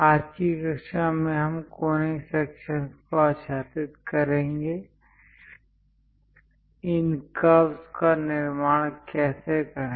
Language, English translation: Hindi, In today's class, I will cover on Conic Sections; how to construct these curves